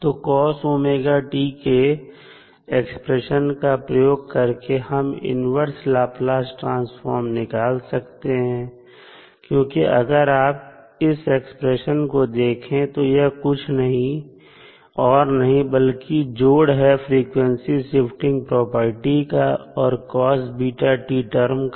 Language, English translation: Hindi, So, using that expression for cos omega t that is you can find out the inverse Laplace transform because, if you see this expression, this is nothing but the frequency shift property plus the cos beta t term